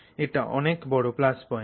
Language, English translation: Bengali, So, that is always a big plus